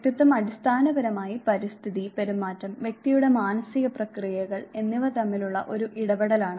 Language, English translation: Malayalam, And personality is basically an interaction among environment, behavior and person’s psychological processes